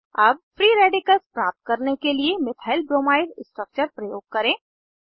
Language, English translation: Hindi, Lets use the Methylbromide structure to obtain free radicals